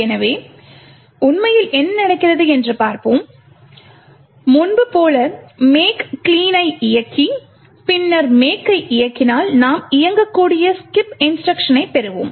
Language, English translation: Tamil, So, let’s see what actually happens, as before we run a make clean and then make and we get the executable skip instruction